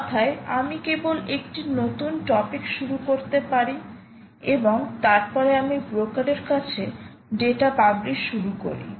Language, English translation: Bengali, in other words, i can simply start a new topic and then start publishing the data to the broker